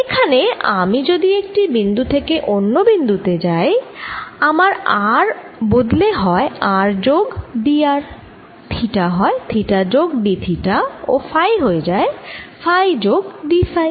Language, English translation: Bengali, if i am going from one point to the other, i am changing r to r plus d r, i am changing theta to that plus d theta and i am changing phi to phi plus d phi, so d